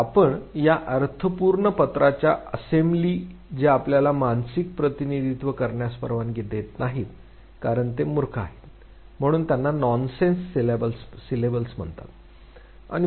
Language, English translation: Marathi, So, these meaningless type of assembly of letters which does not allow you to make a mental representation because they are nonsense, therefore they are called Nonsense Syllables